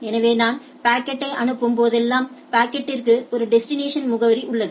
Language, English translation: Tamil, So, when I am I am sending a packet the packet has a destination address